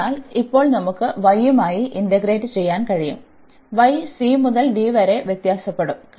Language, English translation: Malayalam, So, now we can integrate with respect to y, so y will vary from c to d